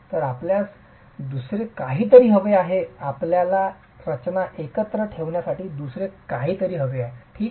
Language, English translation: Marathi, So you need something else, you need something else to keep the structure together